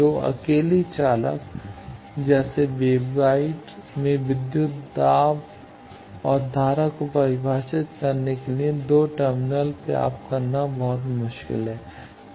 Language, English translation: Hindi, In a 2 single conductor like wave waveguide it is very difficult to get 2 terminals to define voltage or current for voltage you require 2 terminals